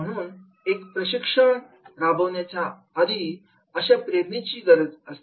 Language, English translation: Marathi, So, therefore to conduct a training programme this particular motivation is also very important